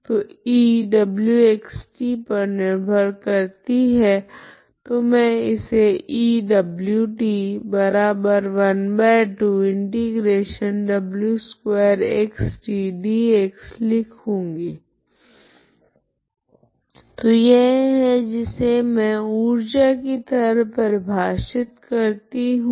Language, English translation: Hindi, So E is depending on w so I write like this E w of t so this is what I define as energy